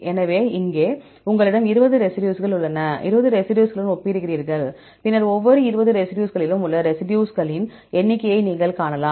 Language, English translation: Tamil, So, here you have 20 residues, you compare with these residues and then you can find the number of residues in each 20 residues